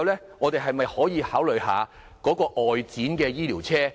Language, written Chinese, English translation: Cantonese, 此外，政府可否考慮一下外展醫療車？, Besides will the Government consider outreach medical services provided in vehicles?